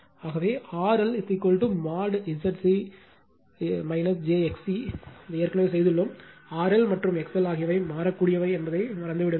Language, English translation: Tamil, Therefore, R L is equal to mod Z g minus j x c you have already done it; you forget R L and X L are variable